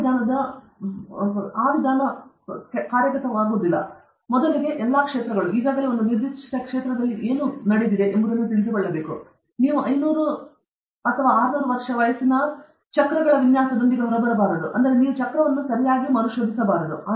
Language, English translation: Kannada, The basic problem with that approach is, first, we should know what all have already been done in a particular field; otherwise, you will say the best way to transport is to have a circularly shaped object, with hub in between, and spokes, and then, you will come out with the design of a wheel which is of 500 or 500 years old or something; you should not reinvent the wheel okay